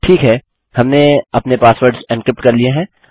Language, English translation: Hindi, Now I want to encrypt these passwords